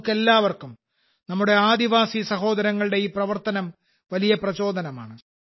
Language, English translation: Malayalam, For all of us, these endeavours of our Adivasi brothers and sisters is a great inspiration